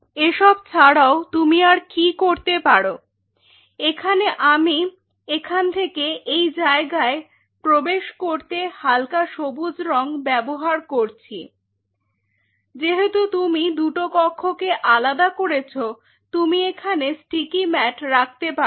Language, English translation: Bengali, And apart from it what you can do is out here I am using a light green color from entering from this one to this part, because you have partitioned the room you can put the sticky mats